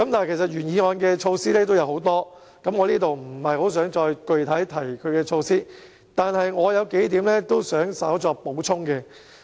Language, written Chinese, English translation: Cantonese, 原議案的措施有很多，我在這裏不想具體重複有關措施，不過，我有數點想稍作補充。, Many measures are proposed in the original motion yet I do not wish to repeat them . But I have a few points to add